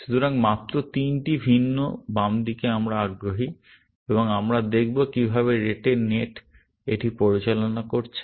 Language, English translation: Bengali, So, just three different left hand sides that we are interested in, and we will see how Rete net handled it